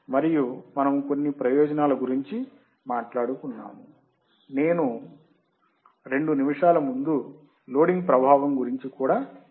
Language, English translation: Telugu, And we will see some of the advantages that I have just talked recently or right before two minutes that are the load loading effect